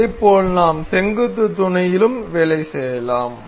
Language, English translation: Tamil, Similarly, we can work on the perpendicular mate as well